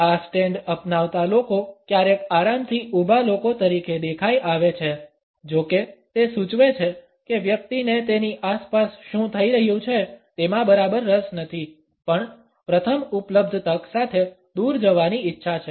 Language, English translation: Gujarati, People adopting this stand sometimes come across as comfortably standing people; however, it suggest that the person is not exactly interested in what is happening around him or her rather has a desire to move away on the first available opportunity